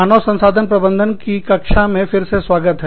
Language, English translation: Hindi, Welcome back, to the class on, Human Resource Management